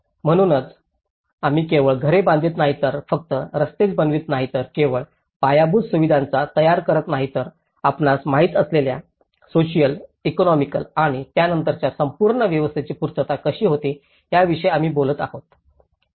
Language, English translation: Marathi, So, it is not just only we build the housing and we are not only building the roads, we are not only building the infrastructure but we are also dealing with the capacities you know, of social, economic and then how this whole setup will also improve resilience